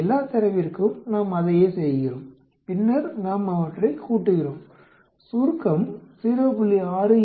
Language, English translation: Tamil, We do the same thing for all the data and then we add them up ,summation comes out to be 0